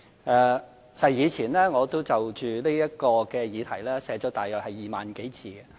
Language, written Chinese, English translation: Cantonese, 其實，過往我曾就這項議題寫了大約2萬多字。, In fact I wrote around 20 000 words in total on this topic in the past